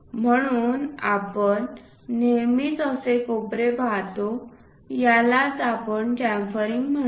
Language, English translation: Marathi, So, that kind of corners we always see, that is what we call chamfering